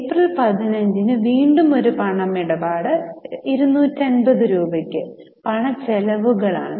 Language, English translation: Malayalam, On 15th April, again there is a cash transaction, paid cash for rupees 250 for expenses